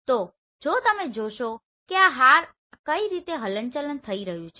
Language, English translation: Gujarati, So in this case if you see this is moving like this